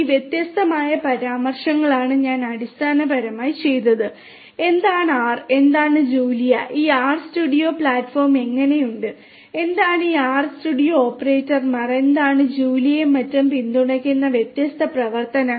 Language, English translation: Malayalam, These are these different references that what I have done is basically, I have given you a very high level expository view of what is R, what is Julia, how is this R studio platform like, what are these basic operators that are there, what are the different functions that are supported in Julia and so on